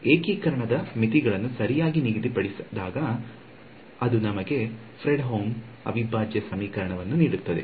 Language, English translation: Kannada, When the limits of integration are fixed right so, that gives us a Fredholm integral equation